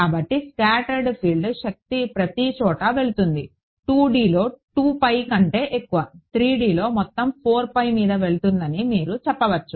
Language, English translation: Telugu, So, the scattered field energy is going everywhere, in 2 D its going over 2 pi, in 3 D its going over the entire 4 pi you can say